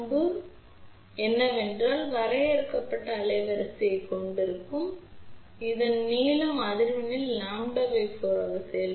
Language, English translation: Tamil, The limitation of this configuration is that it will have a limited bandwidth, because this length will act as lambda by 4 only at certain frequencies ok